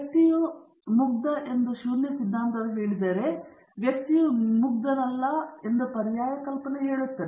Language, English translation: Kannada, If the null hypothesis says the person is innocent the alternate hypothesis says that the person is not innocent